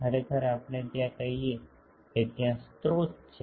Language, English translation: Gujarati, Actually there are let us say that there are sources